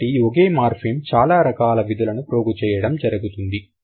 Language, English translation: Telugu, So, one morphem has accumulated many features